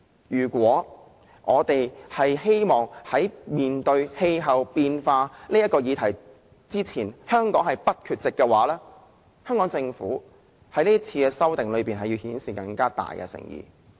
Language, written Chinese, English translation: Cantonese, 如果香港希望在面對氣候變化的議題時不缺席，政府在此次修訂之中便要顯示更大的誠意。, The Government should be held accountable . If Hong Kong does not wish to be absent in facing up to the issue of climate change the Government should demonstrate a higher degree of sincerity in the amendments this time around